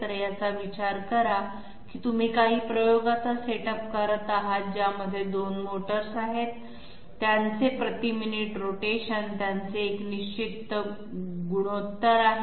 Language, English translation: Marathi, So think of it as you are having a setup of some experiment in which there are 2 motors, their rotations per minute they have a definite ratio